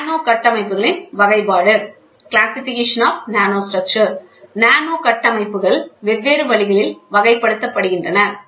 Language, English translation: Tamil, Classification of nanostructures nanostructures are classified in different ways